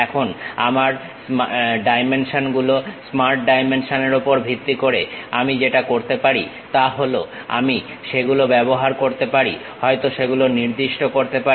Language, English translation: Bengali, Now, based on my dimensions Smart Dimension, what I can do is I can use that maybe specify that